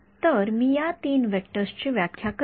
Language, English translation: Marathi, So, I am defining these 3 vectors